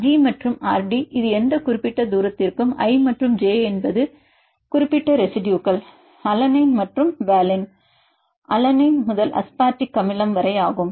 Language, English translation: Tamil, You can see the g rd this is for any particular distance i and j are any specific residues alanine and valine, alanine to aspartic acid